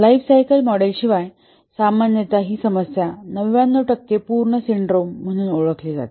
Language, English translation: Marathi, Without a lifecycle model, usually a problem that is known as the 99% complete syndrome occurs